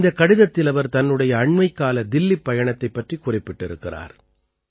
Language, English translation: Tamil, In this letter, she has mentioned about her recent visit to Delhi